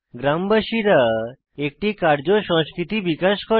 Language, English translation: Bengali, Villagers developed a work culture